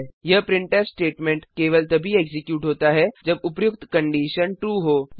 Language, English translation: Hindi, This printf statement is executed if the above condition is true